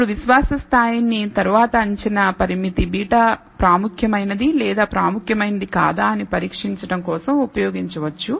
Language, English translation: Telugu, Now, the confidence level can later be used for testing whether the estimated parameter beta is significant or insignificant as we will see later